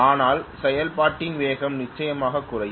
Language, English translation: Tamil, But in the process, the speed will come down definitely